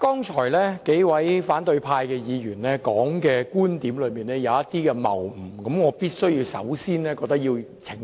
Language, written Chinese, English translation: Cantonese, 主席，數位反對派議員剛才提出的觀點，存在一些謬誤，我認為必須先作澄清。, Chairman the viewpoints put forth by the several Members from the opposition camp just now carry some fallacies so I think I must first clarify them